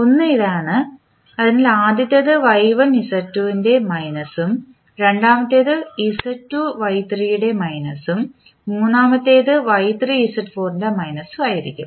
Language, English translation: Malayalam, One is this one, so first one will be minus of Y1 Z2, second would be minus of Z2 Y3 and the third one will be minus of Y3 Z4